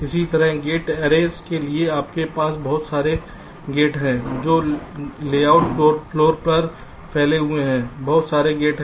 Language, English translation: Hindi, similarly for gate arrays, you have so many gates which are spread ah on the layout floor